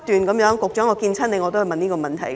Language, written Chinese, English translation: Cantonese, 局長，我每次見你都問同一問題。, Secretary I ask you the same question every time I see you